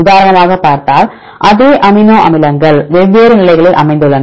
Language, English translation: Tamil, For example, here if you see the sequence same amino acids located different positions